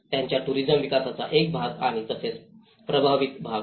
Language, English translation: Marathi, As a part of their tourism development and as well as the affected areas